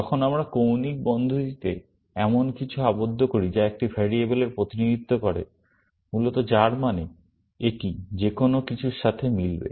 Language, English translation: Bengali, When we enclose something in angular brackets like this that represents a variable, essentially, which means, it will match anything